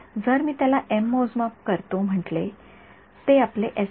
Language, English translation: Marathi, So, if I call that say m m measurements, that is your s